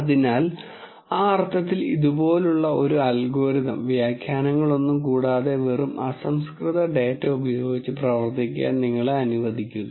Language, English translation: Malayalam, So, in that sense an algorithm like this allows you to work with just raw data without any annotation